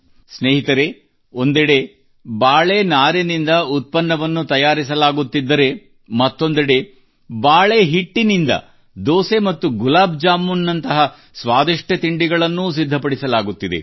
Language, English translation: Kannada, Friends, on the one hand products are being manufactured from banana fibre; on the other, delicious dishes like dosa and gulabjamun are also being made from banana flour